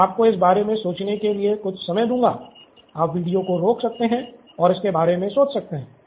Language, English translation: Hindi, I will give you some time you want to think about it, okay you can pause the video and think about it